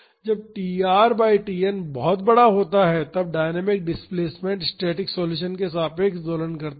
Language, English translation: Hindi, When tr by Tn is large then the dynamic displacement oscillates about the static solution